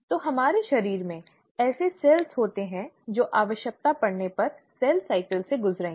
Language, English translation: Hindi, So, there are cells in our body which will undergo cell cycle, if the need arises